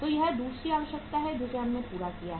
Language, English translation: Hindi, So this is the second requirement we have fulfilled